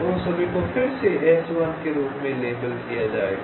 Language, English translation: Hindi, they will all be labeled again as s one